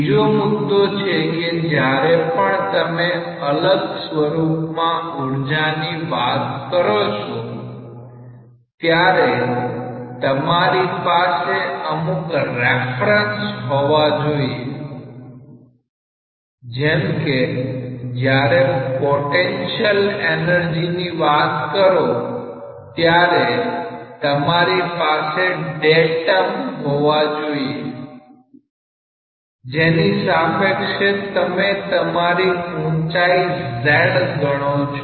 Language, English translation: Gujarati, The next point is that whenever you are talking about energies in different terms, you must have a reference like when you say potential energy, you have a datum with respect to which you are calculating the height z